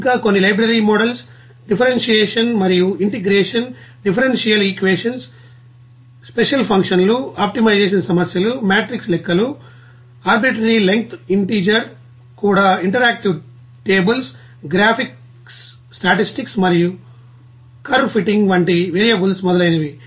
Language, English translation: Telugu, And also, some you know the library models are for differentiation and integration, differential equations you know special functions, complex of variables like optimization problems, matrix calculations, arbitrary length integers even you know interactive tables, graphics, statistics and curve fitting etc